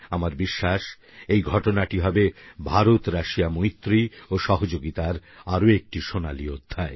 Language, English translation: Bengali, I am confident that this would script another golden chapter in IndiaRussia friendship and cooperation